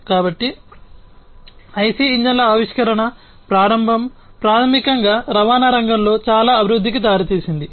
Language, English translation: Telugu, So, the starting of the or the invention of IC engines basically led to lot of development in the transportation sector